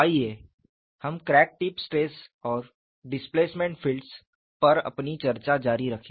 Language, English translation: Hindi, Let us continue our discussion on crack tip stress and displacement fields